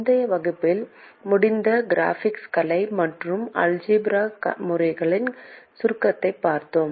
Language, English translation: Tamil, let us look at the summary of the graphical and the algebraic methods with which we ended the previous class